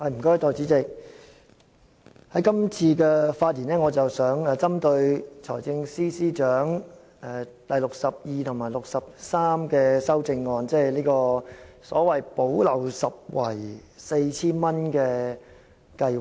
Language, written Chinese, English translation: Cantonese, 代理主席，今次的發言我想針對財政司司長編號62及63的修正案，即所謂"補漏拾遺"的 4,000 元計劃。, Deputy Chairman my speech will focus on Amendments Nos . 62 and 63 moved by the Financial Secretary which are related to the remedial measure or the payment of 4,000 under the Caring and Sharing Scheme the Scheme